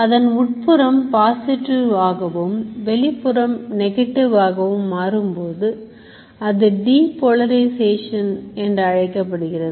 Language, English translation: Tamil, This state of inside becoming positive and outside become negative is called depolarization